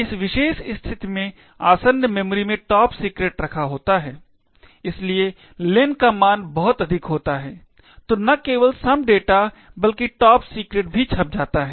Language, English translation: Hindi, In this particular case the adjacent memory contains top secret, so the value of len is large then not only is some data printed but also top secret has printed on the